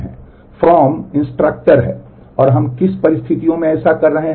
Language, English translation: Hindi, The from is instructor and under what conditions are we doing that